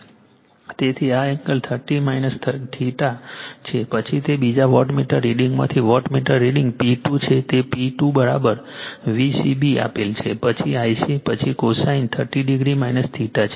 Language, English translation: Gujarati, So, this angle is 30 degree minus theta then watt wattmeter reading from that second wattmeter reading is P 2 is given P 2 should is equal to it is V c b then your I c then your cosine , 30 degree minus theta right